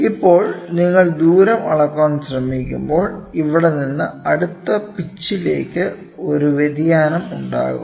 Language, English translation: Malayalam, So, now when you try to measure the distance, if you try to measure from here to the next pitch maybe there will be a variation